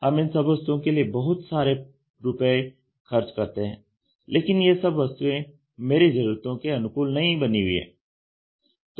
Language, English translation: Hindi, We are paying a huge money for all these products, but these products are not customized to my requirement